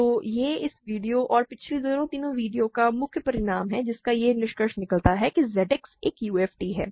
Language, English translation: Hindi, So, this is the main result of this video and the last two three videos to conclude that Z X is a UFD